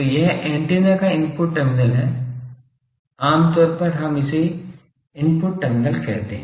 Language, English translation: Hindi, So, this is the input terminal of the antenna generally we call this the input terminals